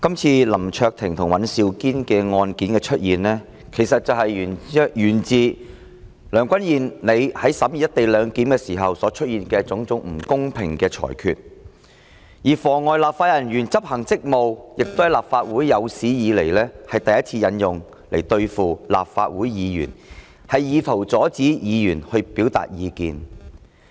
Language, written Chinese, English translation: Cantonese, 今次林卓廷議員及尹兆堅議員的案件，源自梁君彥主席在審議"一地兩檢"時所出現的種種不公平裁決，立法會亦是有史以來第一次以"妨礙正在執行職責的立法會人員"罪來對付立法會議員，以圖阻止議員表達意見。, The case of Mr LAM Cheuk - ting and Mr Andrew WAN is the result of President Mr Andrew LEUNGs unfair rulings during the vetting of the legislation on co - location arrangement . For the first time in the Legislative Councils history the offence of obstruction of public officers in carrying out enforcement action was invoked against Members to stop them from expressing their views